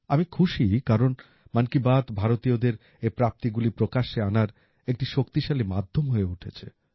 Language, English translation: Bengali, I am glad that 'Mann Ki Baat' has become a powerful medium to highlight such achievements of Indians